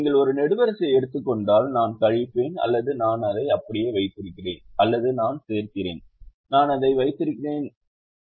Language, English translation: Tamil, if you take a column, i either subtract or i keep the same, or i add and or and i keep it the same